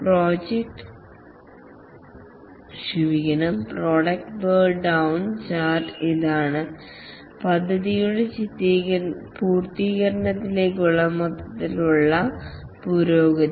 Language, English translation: Malayalam, The product burn down chart, this is the overall progress towards the completion of the project